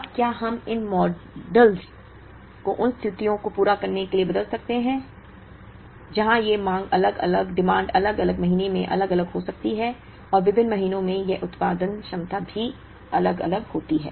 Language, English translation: Hindi, Now, can we change these modules to meet situations where, these demand can be different in different months, and this production capacities are also different in different months